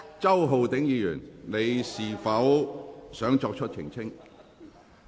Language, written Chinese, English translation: Cantonese, 周浩鼎議員，你是否想作出澄清？, Mr Holden CHOW do you wish to elucidate?